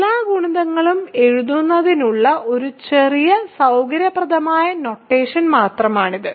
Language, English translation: Malayalam, So, that is just a short convenient notation for writing all the multiples